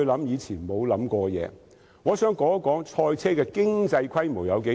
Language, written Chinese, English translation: Cantonese, 主席，我想談談賽車的經濟規模有多大。, President I wish to talk about the scale of economy of motor racing